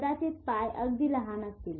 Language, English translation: Marathi, Even the feet will be very small